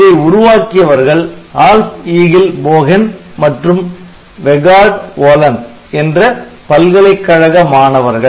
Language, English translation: Tamil, So, this is founders are Alf Egil Bogen and Vegard Wollan RISC